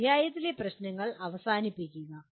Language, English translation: Malayalam, Solve end of the chapter problems